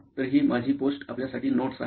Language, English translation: Marathi, So here are my post it notes for you